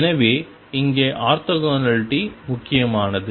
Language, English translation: Tamil, So, orthogonality here is important